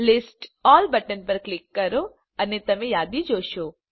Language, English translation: Gujarati, Click on List All button and you will see a list